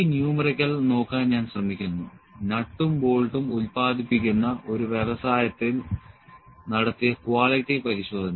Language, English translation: Malayalam, So, I will try to just see this numerical, during the quality checkup in an industry that produces nuts and bolts